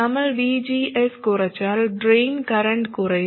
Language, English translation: Malayalam, If we reduce VGS, then the drain current will come down